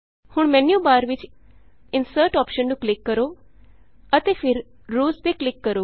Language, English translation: Punjabi, Now click on the Insert option in the menu bar and then click on Rows